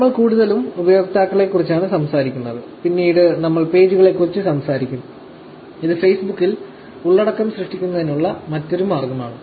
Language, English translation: Malayalam, And, we will be talking mostly about users; we shall later talk about also, pages, which is one of the ways by which content can be generated on Facebook